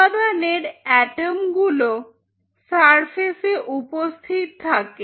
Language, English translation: Bengali, So, atoms of element are present on the surface